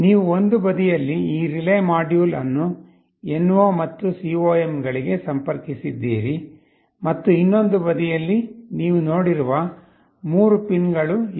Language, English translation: Kannada, You see on one side you have connected this relay module to the NO and the COM connections, and on the other side there are 3 pins you have seen